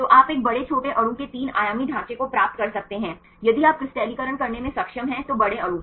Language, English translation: Hindi, So, you can obtain the three dimensional structures right of even a big small molecule; big molecules if you are able to crystallize